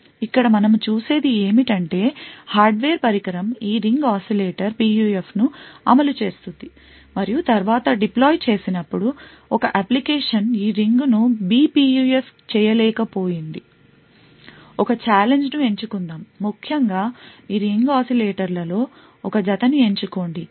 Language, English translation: Telugu, What we see over here is that the hardware device would implement this Ring Oscillator PUF and later when deployed, an application could unable this ring was B PUF, choose a challenge, essentially choose a pair of these ring oscillators, provide an output which is either 1 or 0